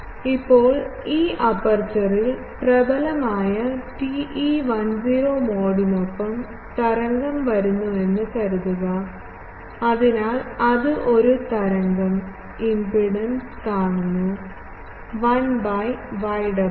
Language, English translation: Malayalam, Now, at this aperture suppose, wave was coming with dominant TE 10 mode; so, it was seeing an wave impedance of 1 by y omega